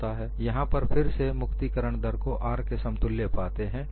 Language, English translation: Hindi, There again, you find energy release rate equal to R